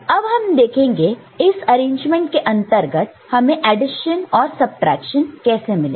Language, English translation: Hindi, Now, we look at how we can get within the same arrangement, same framework both addition and subtraction